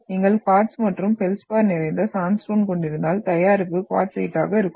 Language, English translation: Tamil, So if you are having sandstone which is rich in quartz and feldspar, you will have out product will be quartzite